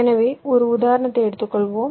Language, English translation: Tamil, ok, lets take a example